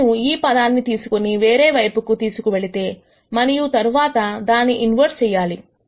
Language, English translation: Telugu, If I take this term to the other side, and then do the inverse